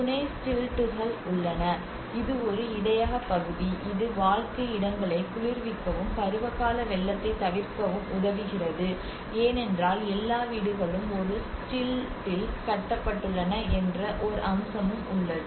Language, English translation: Tamil, And there is a supporting stilts, a buffer area, provide air circulation to cool living spaces and avoid seasonal flooding because that is one aspect all the houses are raised in a stilt